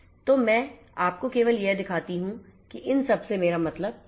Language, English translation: Hindi, So, let me just show you what I mean by this